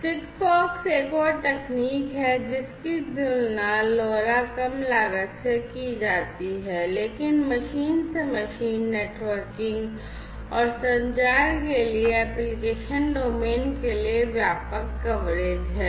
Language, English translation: Hindi, SIGFOX is another technology which is compared to LoRa low cost, but has wider coverage for application domains with machine to machine networking and communication